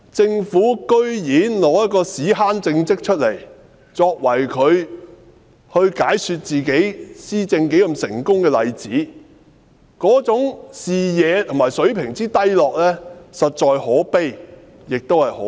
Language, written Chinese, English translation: Cantonese, 政府竟然以一個"屎坑"政績作為解說其施政有多成功的例子，這種視野和水平的低落，實在可悲，亦可笑。, The Government is so low in vision and standard that it would quote its shit - pit achievement to illustrate its success in administration . How deplorable and ludicrous it is